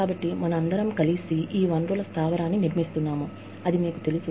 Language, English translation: Telugu, And so, we are together, building this base of resource, you know